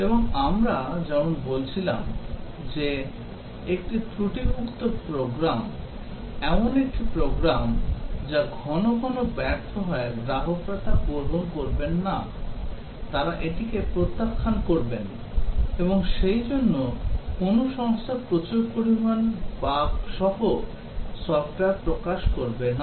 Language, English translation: Bengali, And as we were saying that, a faulty program, a program that fails frequently would not be accepted by customers, they will reject it and therefore, no company in its right mind will release software with lot of bugs